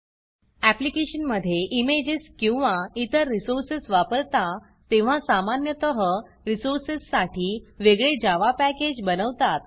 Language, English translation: Marathi, When you use images or other resources in an application, typically you create a separate Java package for the resource